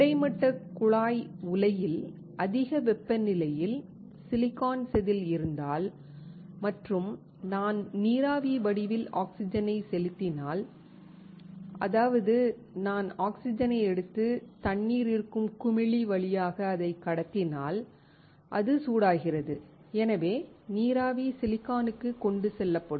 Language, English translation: Tamil, If I have the silicon wafer at high temperature in the horizontal tube furnace and if I inject oxygen in form of water vapor; that means, I take oxygen and pass it through the bubbler in which water is there and it is heated, so the water vapor will be carried to my silicon